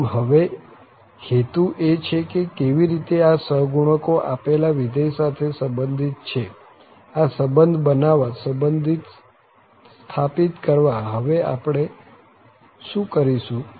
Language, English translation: Gujarati, So now, the idea is that how these coefficients are related now to the given function, so to construct the relation, to establish the relation what we will do now